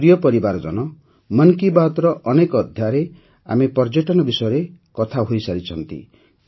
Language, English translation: Odia, My family members, we have talked about tourism in many episodes of 'Mann Ki Baat'